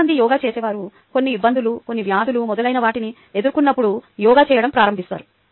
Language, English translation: Telugu, always, most of the people who do yoga start doing yoga when they face some difficulties, some diseases and so on